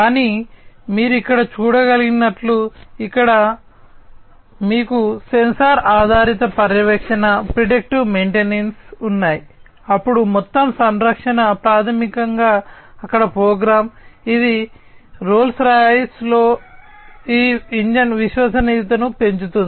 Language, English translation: Telugu, But, as you can see over here; here also you have sensor based monitoring, predictive maintenance, then total care is basically there program, which increases this engine reliability in Rolls Royce